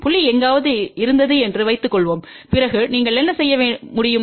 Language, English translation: Tamil, Suppose the point was somewhere here then what you can do